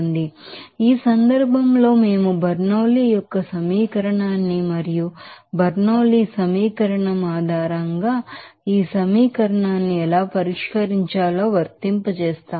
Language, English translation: Telugu, So, in this case we are applying that Bernoulli’s equation and how to solve this equation based on this Bernoulli’s equation like this